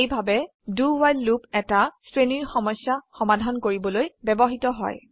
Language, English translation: Assamese, This way, a do while loop is used for solving a range of problems